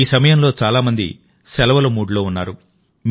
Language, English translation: Telugu, At this time many people are also in the mood for holidays